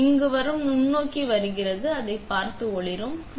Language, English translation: Tamil, So, that is the microscope from here coming, looking up and lightening it